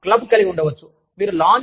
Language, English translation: Telugu, You could have a club